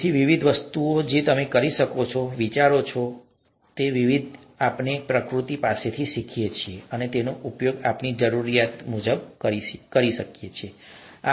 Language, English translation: Gujarati, So there are various different things that you can, various different ideas, various different ways of doing things that we can learn from nature and use it for our own needs